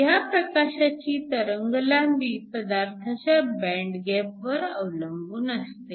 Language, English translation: Marathi, The wavelength of the light depends upon the band gap of the material